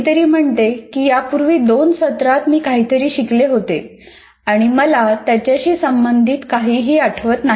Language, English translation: Marathi, Somebody says, I have learned something in the two semesters earlier and I don't remember anything related to that